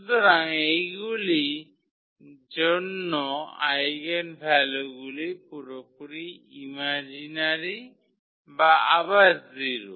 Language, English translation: Bengali, So, for those cases the eigenvalues are purely imaginary or 0 again